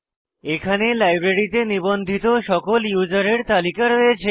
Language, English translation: Bengali, Here, we get the list of all the users who have registered in the library